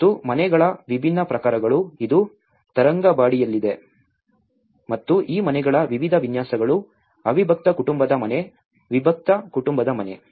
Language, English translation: Kannada, And different typologies of houses, this is in Tharangambadi and how different layouts of these houses like a joint family house, a nuclear family house